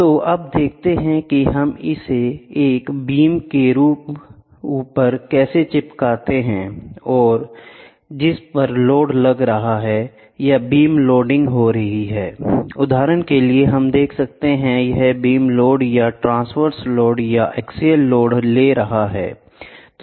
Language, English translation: Hindi, So, now let us see how do we stick it on top of a beam which is getting loaded or beam loading example, we can see or beam load or transverse load or axial load taking